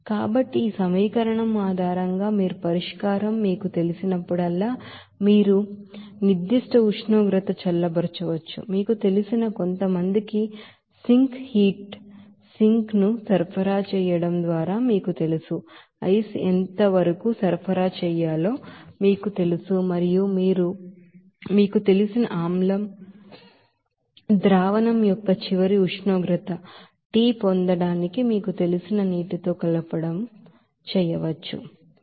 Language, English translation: Telugu, So based on this equation you can also solve this whenever the solution will be you know cooled down to a certain temperature by you know by supplying some you know sink heat sink like you know ice like that to what will be the amount of ice to be supplied and also what will be the water to be mixed with that you know acid solution to get its final temperature of you know T temperature like this